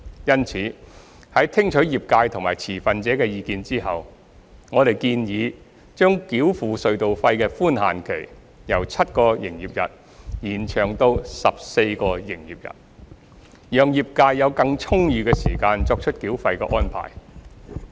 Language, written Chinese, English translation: Cantonese, 因此，在聽取業界及持份者的意見後，我們建議將繳付隧道費的寬限期，由7個營業日延長至14個營業日，讓業界有更充裕的時間作出繳費安排。, Therefore after listening to the views of the trades and the stakeholders we have proposed extending the grace period for toll payment from 7 to 14 business days so as to allow the trades more sufficient time to arrange for toll payment